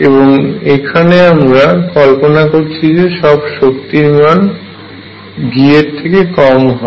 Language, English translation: Bengali, And we are going to assume that all energies we are considering are below V